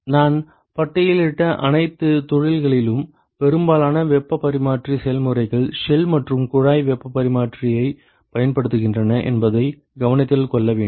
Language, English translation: Tamil, By the way it is important to note that, most of the heat exchange process in all the industries that I had listed, they actually use shell and tube heat exchanger